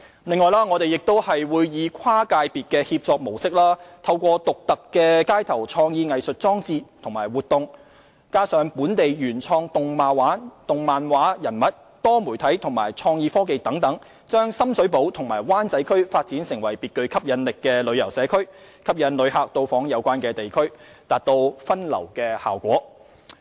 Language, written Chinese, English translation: Cantonese, 此外，我們會以跨界別協作模式，透過獨特的街頭創意藝術裝置及活動、本地原創動漫畫人物、多媒體和創意科技等，將深水埗和灣仔區發展成別具吸引力的旅遊社區，吸引旅客到訪，達到分流效果。, Moreover we will develop Sham Shui Po and Wan Chai into attractive tourism communities for tourists in order to achieve diversion through unique creative art installations and activities on the streets locally created animation figures multimedia creative technology and so on leveraging cross - sector collaboration